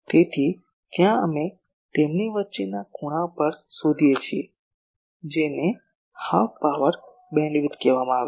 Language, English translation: Gujarati, So, there we locate at the angle between them that is called the Half Power Beamwidth